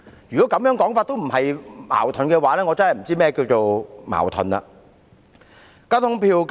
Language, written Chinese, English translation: Cantonese, 如果這亦不算是自相矛盾的話，我真的不知道何謂"矛盾"了。, If this cannot be regarded as a self - contradiction then I honestly cannot tell the meaning of contradiction